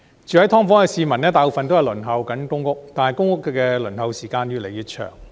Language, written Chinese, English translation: Cantonese, 居於"劏房"的市民大部分正在輪候公屋，但公屋的輪候時間越來越長。, Most of the people living in subdivided units are waitlisted for public housing but the waiting time is growing longer and longer